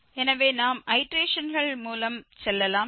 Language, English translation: Tamil, So, let us go with the iterations